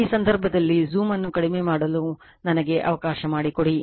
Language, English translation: Kannada, In this case let me let me reduce the zoom little bit